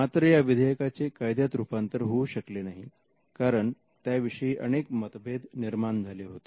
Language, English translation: Marathi, Now, this bill did not become an act, it failed because of certain controversy surrounding it